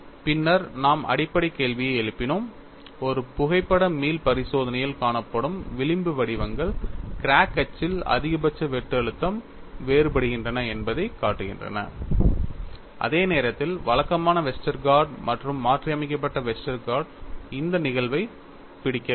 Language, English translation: Tamil, Then we moved on to raising the fundamental question, the fringe patterns that has seen in a photoelastic experiment show that maximum shear stress varies along the crack axis, whereas the conventional Westergaard and modified Westergaard do not capture this phenomena